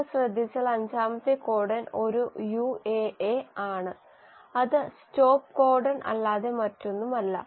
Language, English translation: Malayalam, If you notice the fifth codon is a UAA which is nothing but the stop codon